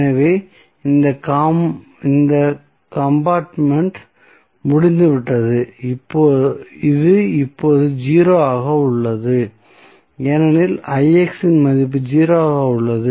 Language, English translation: Tamil, So, this compartment is out, this is 0 now, because the Ix value is 0